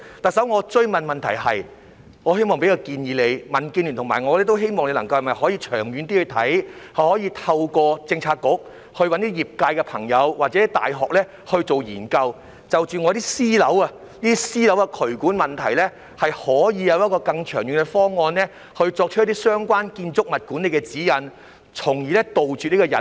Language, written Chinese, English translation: Cantonese, 特首，我追問的問題是，我希望給你一個建議，民建聯和我都希望你能長遠去看，透過政策局找一些業界朋友或大學進行研究，就私樓的渠管問題有一個更長遠的方案，制訂一些相關建築物管理的指引，從而杜絕隱患。, Chief Executive my follow - up question is as follows . I want to put forward a proposal . The Democratic Alliance for the Betterment and Progress of Hong Kong and I both hope that you can adopt a long - term perspective instruct your Policy Bureaux to find certain members of the sector or universities to conduct a study so as to come up with a longer - term plan for drainage problems in private buildings and formulate guidelines on building management thereby eliminating potential hazards